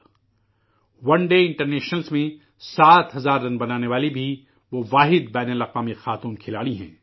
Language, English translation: Urdu, She also is the only international woman player to score seven thousand runs in one day internationals